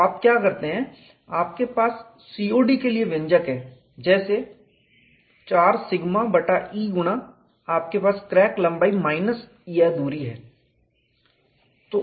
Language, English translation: Hindi, So, what you do is, you have the expression for COD like 4 sigma by E into you have crack length minus the distance